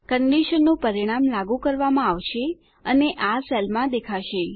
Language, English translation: Gujarati, The conditions result will be applied and displayed in this cell